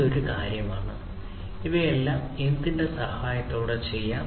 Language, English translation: Malayalam, So, this is one thing; so all of these things can be done with the help of what